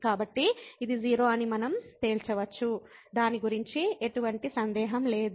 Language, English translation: Telugu, So, we can conclude that this is 0, no doubt about it